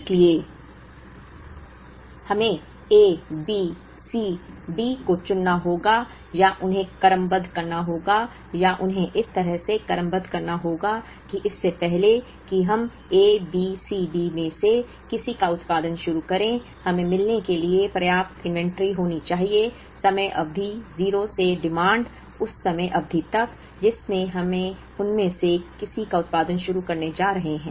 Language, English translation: Hindi, So, we have to choose A, B, C, D or rank them or sequence them in an order such that, before they we start the production of any one of A, B, C, D, we should have enough inventory to meet the demand from time period 0, up to the time period at which we are going to start the production of any of them